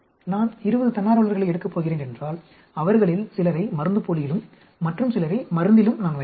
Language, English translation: Tamil, If I am going to take, say, 20 volunteers, I will put some of them into placebo and some of them in the drug